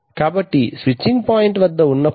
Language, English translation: Telugu, So while at the switching point